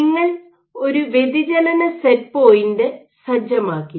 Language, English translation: Malayalam, So, you set a deflection set point